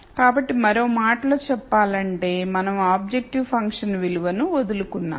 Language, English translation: Telugu, So, in other words we have given up on the value of the objective function